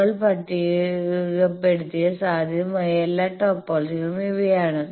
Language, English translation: Malayalam, These are the all the possible topologies we have listed